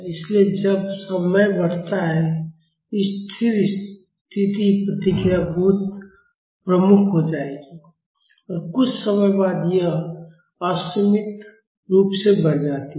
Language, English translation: Hindi, So, when the time increases, the steady state response will become very prominent and after some time it increases unboundedly